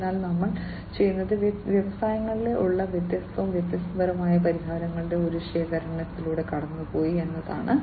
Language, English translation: Malayalam, And so what we have done is we have gone through an assortment of different, different solutions that are there in the industries